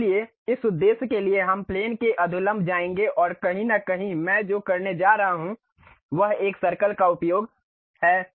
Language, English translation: Hindi, So, for that purpose we will go to normal to plane and somewhere here what I am going to do is use a Circle